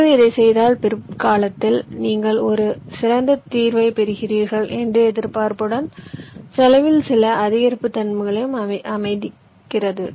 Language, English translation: Tamil, so here, also allowing some increase in cost, with the expectation that if you do this may be later on you will get a better solution